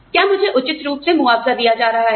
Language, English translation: Hindi, Am I being compensated, appropriately